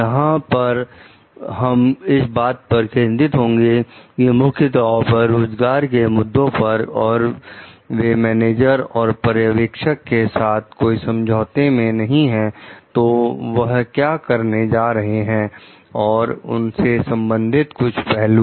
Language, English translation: Hindi, Here, we are going to focus on mainly their like employment issues and if they are like not in agreement with their manager or supervisors, what are they going to do and some related aspects of it